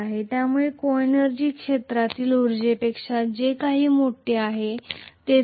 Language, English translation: Marathi, So coenergy happens to be greater than whatever is the field energy